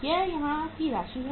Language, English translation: Hindi, It is the amount here